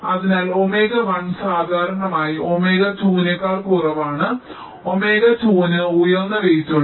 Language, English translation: Malayalam, so omega one is usually less than omega two